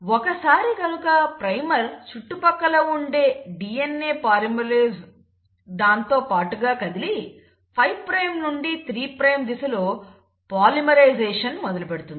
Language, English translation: Telugu, Once the primer is there in vicinity the DNA polymerase hops along and moves, and it started to polymerise in the direction of 5 prime to 3 prime